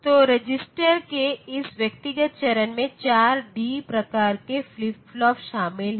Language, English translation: Hindi, So, this Individual stage of the register; so it consists of a flee d type flip flop